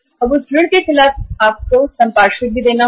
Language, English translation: Hindi, And against that loan you have to give the collateral also